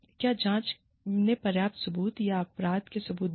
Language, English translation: Hindi, Did the investigation provide, substantial evidence, or proof of guilt